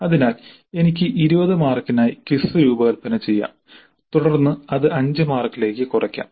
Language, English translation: Malayalam, So I may design the quiz for 20 marks then scale it down to 5 marks